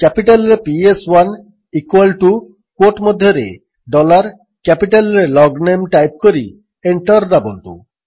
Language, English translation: Odia, Just type: PS1 in capital equal to within quotes dollar LOGNAME and press Enter